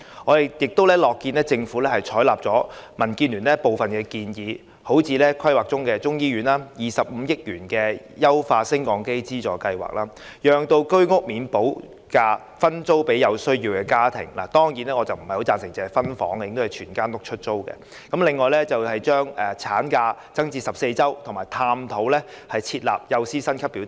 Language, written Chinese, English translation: Cantonese, 我們亦樂見政府採納了民建聯的部分建議，例如規劃中的中醫院、25億元的優化升降機資助計劃、讓未補價居屋分租予有需要的家庭——當然，我不太贊成只是分租，而應該全屋出租、還有增加法定產假至14周，以及探討設立幼稚園教師薪級表等。, While welcoming this approach we are also glad to find that the Government has adopted some suggestions of the Democratic Alliance for the Betterment and Progress of Hong Kong DAB for example the Chinese medicine hospital under planning the 2.5 billion Lift Modernisation Subsidy Scheme the initiative to allow owners of the Hong Kong Housing Authoritys subsidized sale flats with premium unpaid to sublet―of course I favour letting over subletting―their flats to needy families extension of the statutory maternity leave to 14 weeks and exploration of the feasibility of introducing a salary scale for kindergarten teachers etc